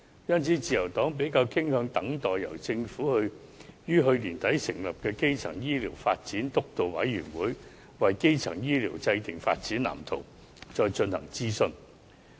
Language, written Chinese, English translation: Cantonese, 因此，自由黨比較傾向等待由政府於去年年底成立的基層醫療健康發展督導委員會，為基層醫療制訂發展藍圖，再進行諮詢。, For these reasons the Liberal Party prefers to wait until the Steering Committee on Primary Healthcare Development set up by the Government late last year formulates a development blueprint for primary health care and then conducts consultation